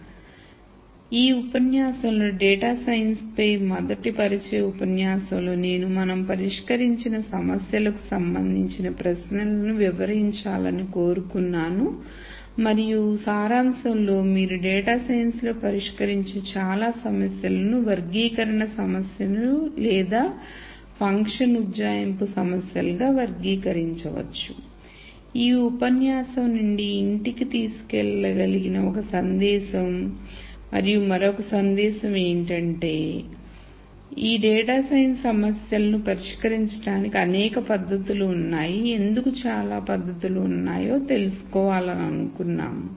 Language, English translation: Telugu, So, in this lecture the first introductory lecture on data science I wanted to right away address the questions of the type of problems that we solved and in summary most of the problems that you solve in data science can be categorized as either classification problems or function approximation problems that is one take home message from this lecture and the other message is that there are several techniques for solving these data science problems we wanted to know why there are so many techniques